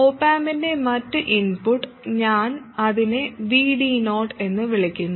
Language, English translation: Malayalam, And this other input of the op amp I call it VD 0